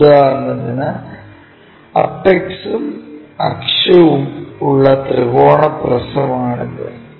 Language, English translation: Malayalam, For example, this is the triangular prism having apex and axis